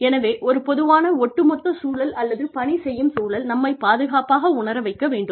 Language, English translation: Tamil, So, a general overall environment, or working environment, in which, we feel safe